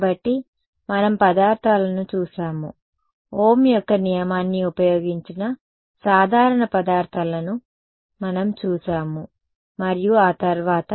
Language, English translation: Telugu, So, we looked at materials, we looked at simple materials which used Ohm’s law right and after that